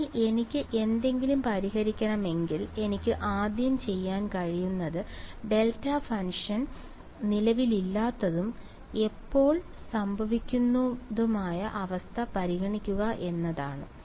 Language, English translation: Malayalam, So, if I want to solve something what the first thing I could try to do is to consider the case where the delta function is not present and that happens when